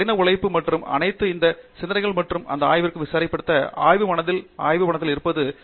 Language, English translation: Tamil, Sort of all this hard work and all these thought and all these labs, lab mind laboratory being mind